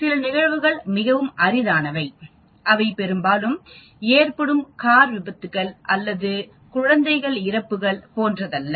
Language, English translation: Tamil, Some events are rather rare, they do not happen often like car accidents or infant deaths and so on actually